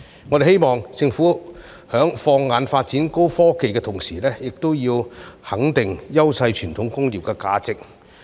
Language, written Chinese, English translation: Cantonese, 我們希望政府在放眼發展高科技的同時，亦要肯定優勢傳統工業的價值。, We hope that the Government would recognize the value of traditional industries in which we enjoy advantages while setting its sights on the development of advanced technologies